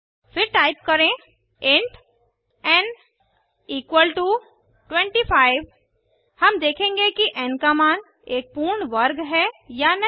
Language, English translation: Hindi, ThenType int n = 25 We shall see if the value in n is a perfect square or not